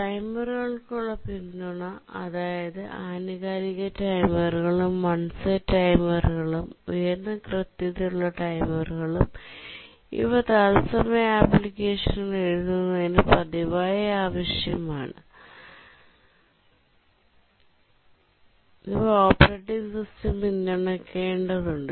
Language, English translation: Malayalam, Support for timers, both periodic timers and one set timers, high precision timers, these are frequently required in writing real time applications and need to be supported by the operating system